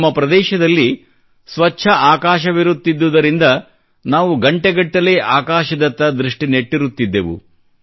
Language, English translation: Kannada, I remember that due to the clear skies in our region, we used to gaze at the stars in the sky for hours together